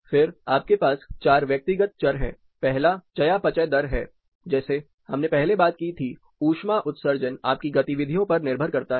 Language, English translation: Hindi, Then, you have four personal variables first is a metabolic rate like we talked about earlier depending an activity you perform your heat generation varies